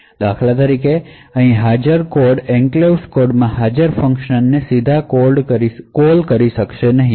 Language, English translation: Gujarati, So, for example a code present over here cannot directly call a function present in the enclave code